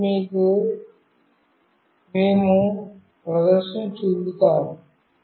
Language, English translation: Telugu, Now, we will be showing you the demonstration